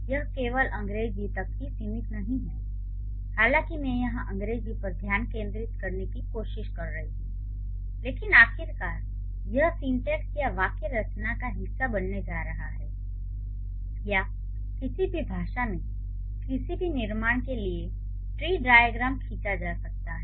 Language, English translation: Hindi, So, it is not just restricted to English though I am trying to focus on English here, but eventually it is going to be a part of our syntax or syntactic structure or the tree diagram can be drawn for any construction in any given language